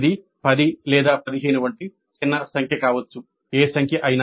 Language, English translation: Telugu, It could be a small number like 10 or 15, whatever be the number